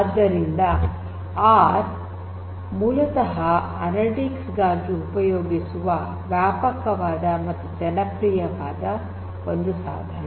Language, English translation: Kannada, So, R is basically a tool that is widely used for analytics